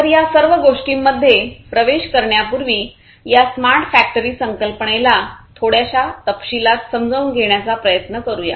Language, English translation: Marathi, So, let us before getting into all of these things let us first try to understand this smart factory concept in little bit more detail